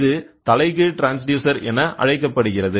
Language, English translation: Tamil, So, it is called as inverse transducer